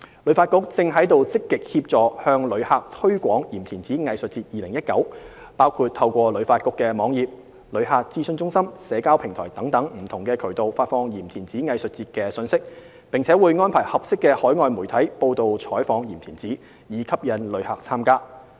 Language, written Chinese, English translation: Cantonese, 旅發局正積極協助向旅客推廣"鹽田梓藝術節 2019"， 包括透過旅發局網頁、旅客諮詢中心、社交平台等不同渠道發放鹽田梓藝術節的信息，並會安排合適的海外媒體報道採訪鹽田梓，以吸引旅客參加。, HKTB is actively promoting the Yim Tin Tsai Arts Festival 2019 to visitors including releasing relevant information through different channels such as HKTBs website visitor centres and social media platforms as well as arranging for overseas media coverage of Yim Tin Tsai so as to attract visitors